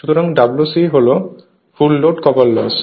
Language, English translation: Bengali, So, W c is the full load copper loss right